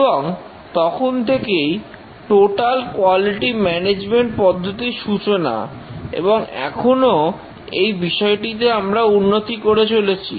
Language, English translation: Bengali, And since then the total quality management techniques evolved and still we are further developments in this area